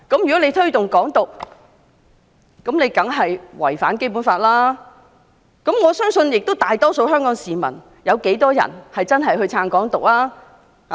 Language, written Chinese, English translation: Cantonese, "如推動"港獨"，當然違反《基本法》，但我相信大多數香港市民亦不支持"港獨"。, Of course promoting Hong Kong independence violates the Basic Law but I believe most Hong Kong people do not support Hong Kong independence